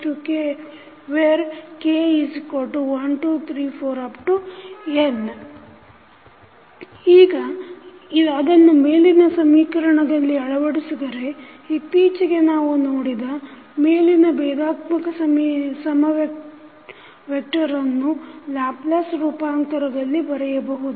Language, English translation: Kannada, Now, if you put that into the above equation, so the above the differential equation and what we have saw, recently we can write in terms of Laplace transforms